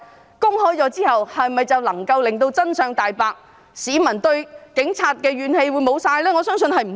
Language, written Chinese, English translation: Cantonese, 報告公開後，是否便能令真相大白，市民對警察怨氣全消？, Can the report published fully reveal the truth and dispel all the public resentment against the Police?